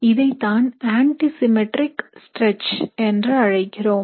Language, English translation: Tamil, This is called an antisymmetric stretch